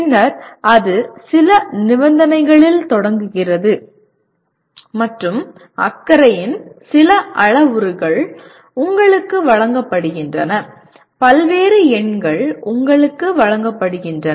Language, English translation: Tamil, And then it starts at some conditions and there are certain parameters of concern are given to you, various numbers are given to you